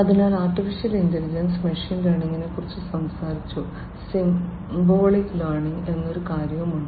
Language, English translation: Malayalam, So, AI we have talked about machine learning, there is also something called Symbolic Learning, Symbolic Learning